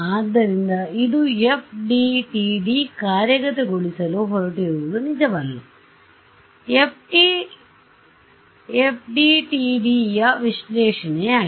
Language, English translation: Kannada, So, this is actually not what the FDTD is going to implement, this is an analysis of the FDTD yeah